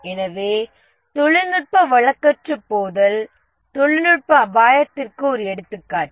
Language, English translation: Tamil, So the technology obsolescence is an example of a technology risk